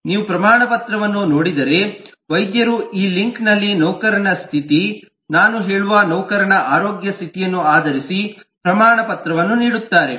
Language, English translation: Kannada, If you look at the certificate, the doctor will issue the certificate in this link based on the status of the employee, the health status of the employee, I mean